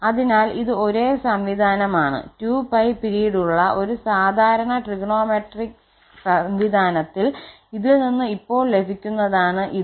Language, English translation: Malayalam, So, this is the same system the standard trigonometric system of period 2 pi, this one which can be just obtained from this one